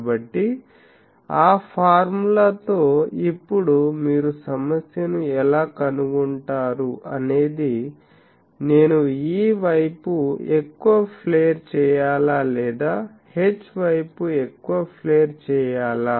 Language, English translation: Telugu, So, with that formula now you see problem is how I find out that, which direction to flare more whether I will put more flare on E side or more flare on H side etc